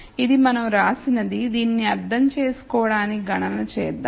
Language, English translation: Telugu, So, this is what we wrote let us do the computation so that we understand this